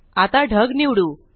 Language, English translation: Marathi, Let us select the cloud